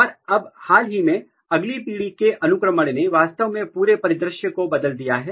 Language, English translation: Hindi, And now recently next generation sequencing has, actually changed the entire scenario